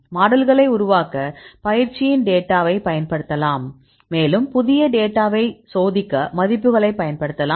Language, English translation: Tamil, Then you can use the data in the training to develop your model and you can use the values to test the new data